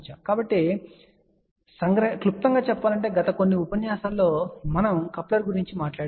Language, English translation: Telugu, So, just to summarize so, in the last few lectures we talked about couplers